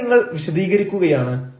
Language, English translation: Malayalam, fine, so here you are explaining